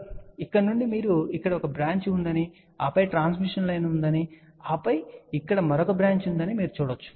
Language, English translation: Telugu, So, from here you can see that there is a one branch over here and then there is a transmission line and then there is a another branch over here